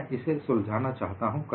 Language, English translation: Hindi, I would like you to work it out